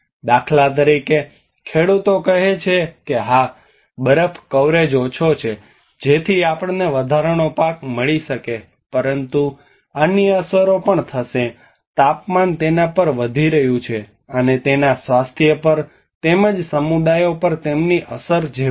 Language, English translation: Gujarati, For instance, the farmers say yes, snow coverage less so we may get an extra crop but there will also other impacts; the temperature is increasing on it, and it has impacts on the health and as well as the communities the way they live